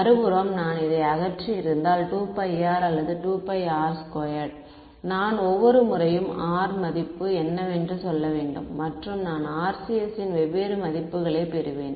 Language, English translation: Tamil, On the other hand if I had removed this 2 pi r or 4 pi r squared, then I would have to every time tell you at what value of r and I will get different values of the RCS